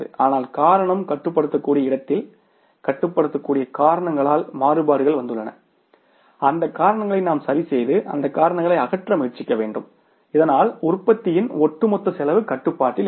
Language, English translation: Tamil, Variances have come up because of the controllable reasons we should fix up those reasons and try to means eliminate those causes so that overall cost of the production remains under control